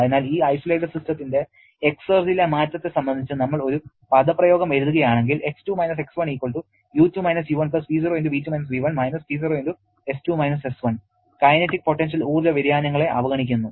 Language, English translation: Malayalam, So, if we write an expression for the change in the exergy of this isolated system X2 X1 will be=U2 U1+T0*V2 V1 the expression we have just developed*S2 S1 neglecting any kinetic and potential energy changes